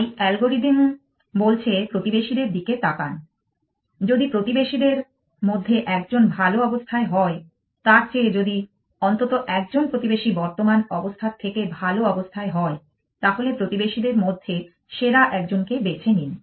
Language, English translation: Bengali, So, the algorithm says look at the neighbors if one of the neighbors is better than if at least one neighbor is better than the current state then choose a best among the neighbors, in this example three neighbors are equal to plus 1